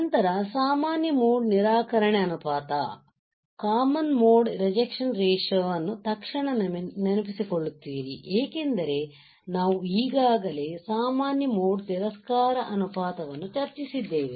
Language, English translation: Kannada, Then we go further common mode rejection ratio some of the parameter you will immediately recall, because we have already discussed common mode rejection ratio